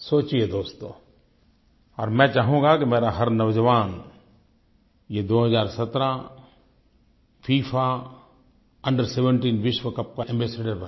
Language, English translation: Hindi, I would like every youth of mine to become an ambassador for the 2017 FIFA Under17 World Cup